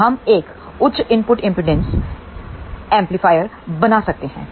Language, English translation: Hindi, So, one can realize a high input impedance amplifier